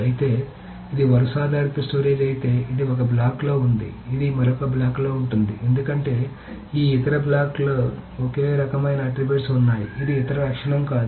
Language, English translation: Telugu, However, if it is robust storage, this is in one block, this again is in another block because in this other block there are attributes only of the same type, right